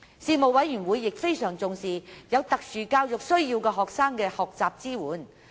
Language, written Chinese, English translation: Cantonese, 事務委員會亦非常重視有特殊教育需要學生的學習支援。, The Panel was also very concerned about the learning support for students with special educational needs